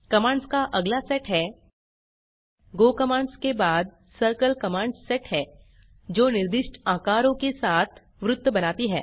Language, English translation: Hindi, The next set of commands that is go commands followed by circle commands draw circles with the specified sizes